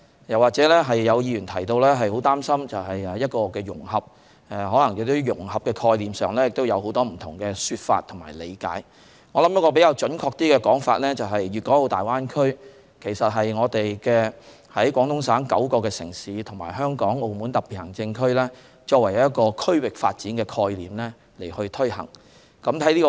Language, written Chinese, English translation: Cantonese, 有議員表示擔心融合，融合在概念上可能有很多不同說法和理解，我認為一種比較準確的說法是，粵港澳大灣區其實是廣東省9個城市，以及香港和澳門兩個特別行政區，以一個區域發展的概念去推行融合。, Some Members expressed concern over the integration . There may have different interpretations and explanations concerning the concept of integration . I think a more accurate interpretation is that integration is being promoted in the Greater Bay Area which is actually made up of nine cities in Guangdong Province and two SARs namely Hong Kong and Macao under a regional development concept